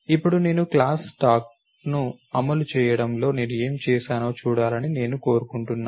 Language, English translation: Telugu, And now I want you to see what I have done in terms of implementing the class stack